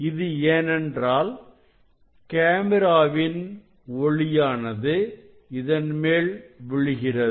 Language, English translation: Tamil, I do not know this camera light is falling on it